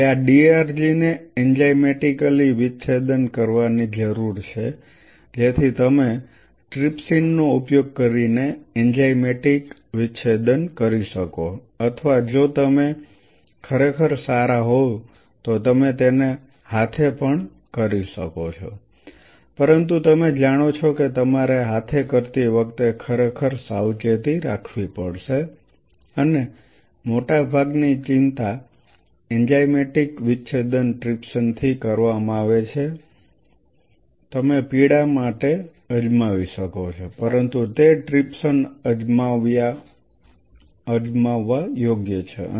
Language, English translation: Gujarati, Now these DRGs needed to be enzymatically dissociated so that so you can do an enzymatic dissociation by using trypsin or if you are really good you can do it manually also, but you know you have to really careful while doing it manually and most of the anxiety enzymatic dissociation are done with trypsin you can try out for pain, but it is worth trying out trypsin